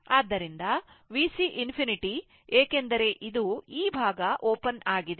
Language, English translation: Kannada, So, V C infinity because this is this side is open